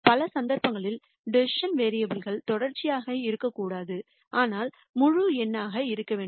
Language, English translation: Tamil, In many cases we might want the decision variable not to be continuous, but to be integers